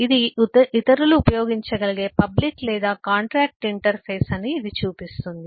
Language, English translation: Telugu, this show that this is public or this is contractual interface which other can use